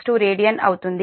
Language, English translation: Telugu, this is also radian